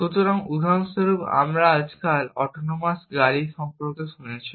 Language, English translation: Bengali, So, for example, you must have heard about autonomous cars now a days